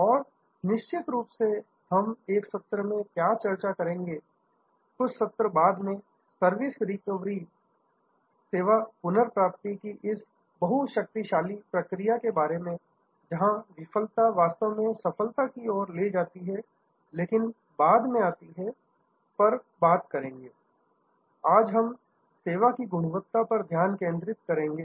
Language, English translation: Hindi, And of course, what we will discuss in a session, a couple of sessions later is about this very powerful process of service recovery, where failure can actually lead to success, but that comes later